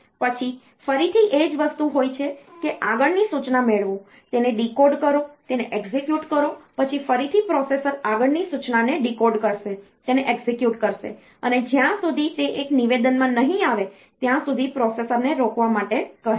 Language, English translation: Gujarati, Then again the same thing fetch the next instruction, decode it, execute it, then again the processor will phase the next instruction decode it execute it till it comes to a statement an instruction which asks the processor to halt